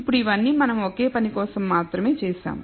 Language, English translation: Telugu, Now, all this we have done only for single thing